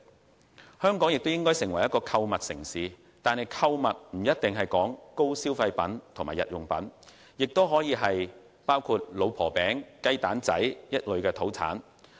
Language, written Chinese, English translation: Cantonese, 最後，香港應發展成為購物城市，購物不一定限於高消費品或日用品，也可推廣老婆餅、雞蛋仔之類的土產。, Lastly Hong Kong should be developed into a shopping city . Shopping is not necessarily confined to luxury products or daily necessities; we may also promote locally produced products such as wife cake and mini - egg puff